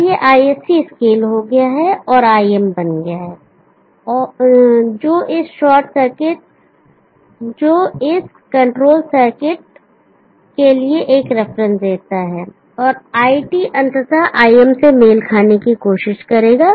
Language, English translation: Hindi, Now this ISC is scaled and becomes IM that give a reference for this control circuit and IT will ultimately try to match IM